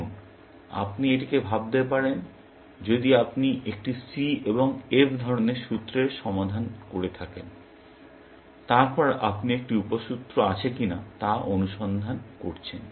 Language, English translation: Bengali, Now, you can think of this as if you are solving C and F kind of a formula, then you are exploring whether, a sub formula